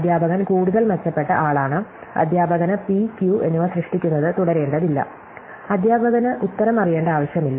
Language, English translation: Malayalam, So, the teacher is in much better respective, the teacher does not have to keep generating p and q, the teacher has does not even need to know the answer